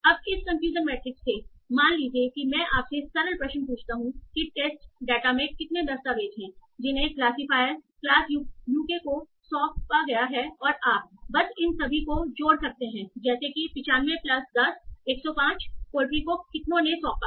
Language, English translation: Hindi, So now from this confusion matrix, suppose I ask you simple question like how many documents in the test data did classify assign to class UK And you can simply add all these, say 95 plus 10, 105